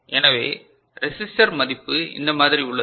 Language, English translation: Tamil, So, resistor values are like this right